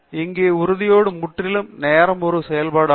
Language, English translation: Tamil, Here, the determinism is purely as a function of time